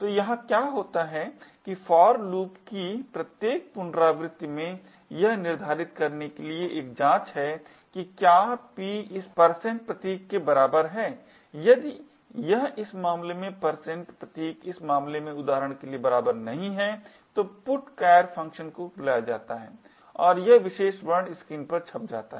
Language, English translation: Hindi, So, what happens here is that which each iteration of this for loop there is a check to determining whether p is equal to this % symbol if it is not equal to the % symbol example in this case then the putchar function gets called and that particular character gets printed on the screen